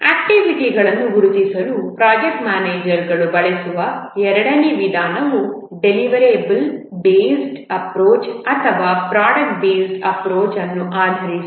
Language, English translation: Kannada, The second approach that the project manager uses to identify the activities is based on a deliverable based approach or product based approach